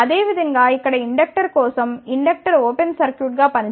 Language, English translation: Telugu, Similarly, for inductor here, inductor should act as an open circuit ok